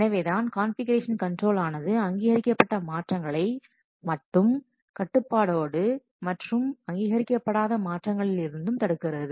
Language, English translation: Tamil, So that's why confusion control, it allows only the authorite changes to be controlled and it prevents the unauthorized changes